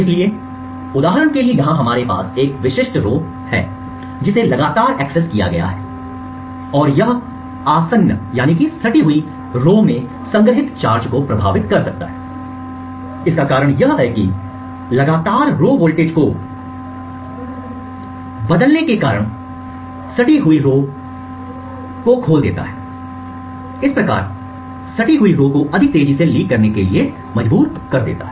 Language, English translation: Hindi, So for example over here we had one specific row which has been continuously accessed and it could influence the charge stored in the adjacent rows, the reason for this is that continuously toggling the row voltage slightly opens the adjacent rows, thus forcing the adjacent rows to leak much more quickly